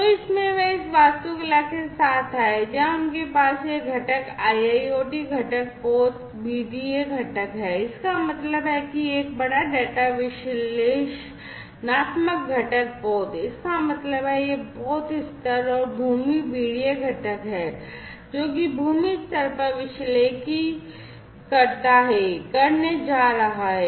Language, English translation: Hindi, So, in this they came up with this architecture, where they have these components the IIoT component the vessel BDA component; that means, a big data analytic component vessel; that means that the vessel level it is going to be done and the land BDA component, which does the analytics at the land level